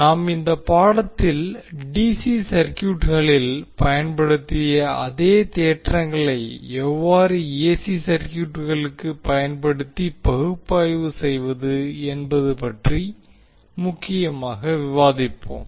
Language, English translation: Tamil, So what we will do in this module, we will discuss particularly on how the theorems which we discussed in case of DC circuit can be used to analyze the AC circuits